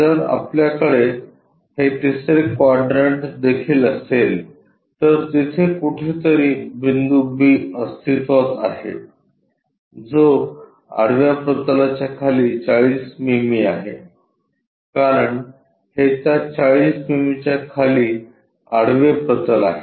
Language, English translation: Marathi, If we are having this third quadrant also somewhere the point B is present, which is 40 mm below the horizontal plane, because this is the horizontal plane below that 40 mm